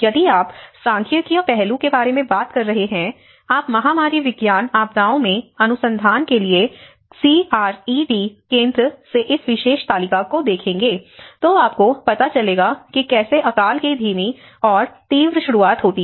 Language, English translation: Hindi, If you are talking about the statistical aspect, if you look at this particular table from the CRED Center for research in Epidemiology Disasters, you will see that the famines, these are the slow onset and the rapid onset